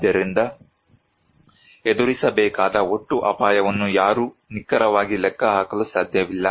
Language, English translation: Kannada, So, no one can calculate precisely the total risk to be faced